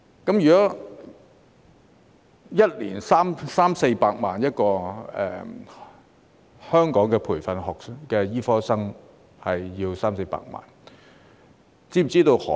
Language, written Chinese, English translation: Cantonese, 按5年三四百萬元計算，一名香港培訓的醫科生便需要三四百萬元。, If we calculate on the basis of a grant of 3 million to 4 million in five years each medical student trained in Hong Kong will cost 3 million to 4 million